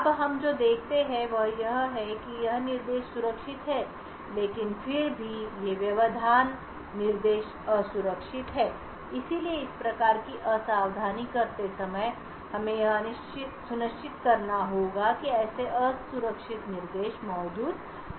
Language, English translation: Hindi, Now what we see is that this AND instruction is safe but however these interrupt instruction is unsafe therefore while doing the disassembly we need to ensure that such unsafe instructions are not present